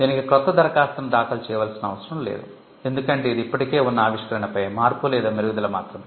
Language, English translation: Telugu, There is no need to file a fresh new application because, it is just a modification or an improvement over an existing invention